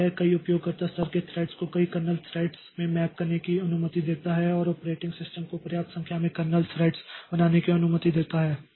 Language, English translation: Hindi, So, it allows many user level threads to be mapped to many kernel threads and allows the operating system to create a sufficient number of kernel threads